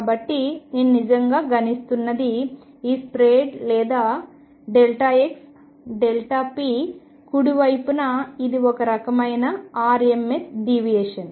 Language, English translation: Telugu, So, what I am really actually calculating is this spread or delta x delta p on the right hand side this is kind of rms deviation